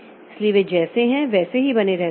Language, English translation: Hindi, So, they remain as it is